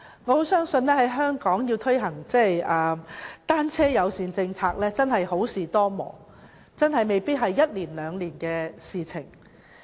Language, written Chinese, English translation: Cantonese, 我相信在香港推行單車友善政策，真的好事多磨，未必會只是一兩年的事情。, I believe the implementation of a bicycle - friendly policy in Hong Kong is really meritorious but preceded by many rough goings . It may not be accomplished in just a couple of years